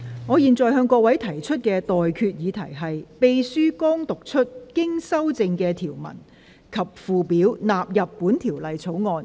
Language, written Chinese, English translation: Cantonese, 我現在向各位提出的待決議題是：秘書剛讀出經修正的條文及附表納入本條例草案。, I now put the question to you and that is That the clauses and schedules as amended just read out by the Clerk stand part of the Bill